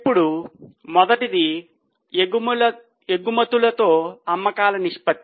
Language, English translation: Telugu, Now first one is exports to sales